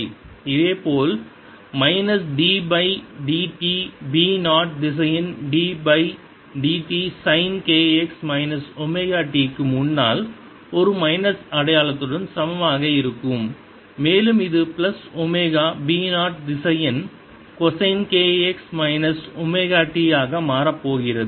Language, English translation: Tamil, similarly, minus d b by d t is going to be equal to b zero vector d by d t of sine k x minus omega t, with a minus sign in front, and this is going to become then plus omega b zero vector cosine of k x minus omega t